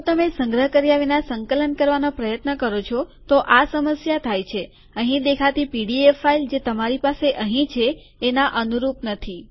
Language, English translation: Gujarati, So this is the problem if you try to compile it, without saving, the pdf file that you see here does not correspond to what you have here